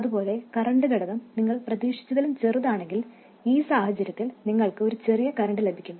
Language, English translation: Malayalam, Similarly, if the current factor is smaller than you expected, so in this case you will get a smaller current